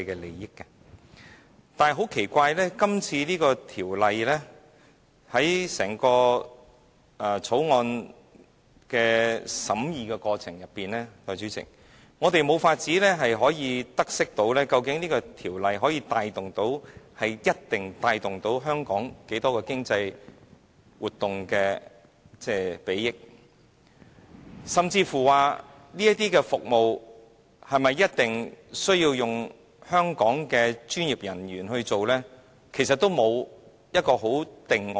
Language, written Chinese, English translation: Cantonese, 然而，代理主席，奇怪的是，在整項《條例草案》的審議過程中，我們無法得悉《條例草案》能帶動多少香港經濟活動的裨益，甚至這些服務是否一定需要由香港的專業人員來進行，其實全都沒有一個定案。, But very strangely Deputy President throughout the scrutiny of the Bill we have been unable to know how many economic benefits the Bill can bring to Hong Kong . And there is not even a clear answer as to whether these services will need to be provided by the professionals in Hong Kong